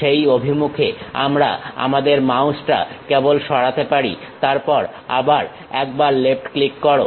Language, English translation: Bengali, Along that dimension we can just move our mouse, then again give left click